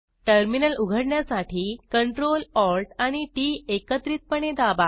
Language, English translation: Marathi, Open a terminal by pressing the Ctrl, Alt and T keys simultaneously